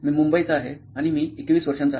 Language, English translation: Marathi, I am from Mumbai and I am 21 years old